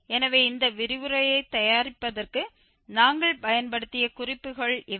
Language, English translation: Tamil, So, these are the references we have used for preparing this lecture